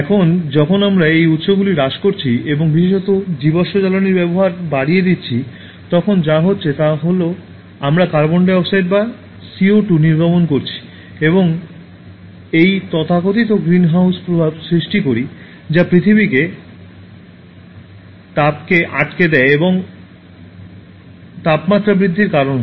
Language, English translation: Bengali, Now when we are depleting these resources and making increased use particularly of fossil fuels, what is happening is that, we are also emitting carbon dioxide or CO2 and cause this so called greenhouse effect that traps heat on earth and causes increase in the temperature